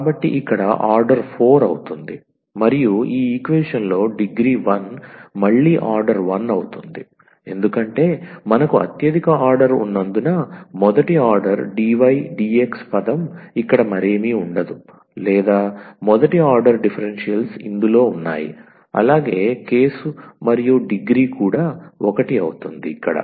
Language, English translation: Telugu, So, here the order is 4 and the degree is 1 in this equation again the order is 1 because we have the highest order is the first order like, dy dx term will be present here nothing else or the first order differentials are present in this case and the degree is also 1